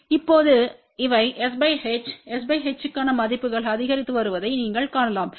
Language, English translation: Tamil, Now, you can see that these are the cur values for s by h s by h is increasing